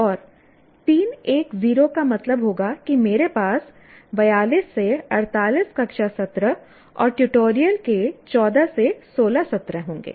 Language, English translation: Hindi, And 3 is to 1 is to 0 would mean that I will have 40 to 48 classroom sessions and 14 to 16 sessions of tutorial